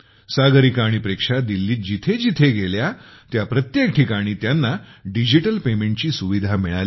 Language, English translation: Marathi, Wherever Sagarika and Preksha went in Delhi, they got the facility of digital payment